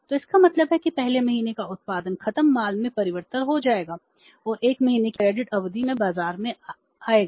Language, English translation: Hindi, So, it means first month production will you converted into the finished goods and will go to the market at the credit period of 1 month